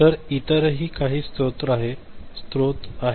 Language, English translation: Marathi, So, there are some other sources